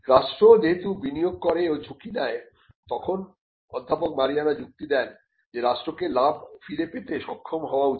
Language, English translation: Bengali, So, when the state invests and takes the risk, the state professor Marianna argues the state should also be able to receive the profits back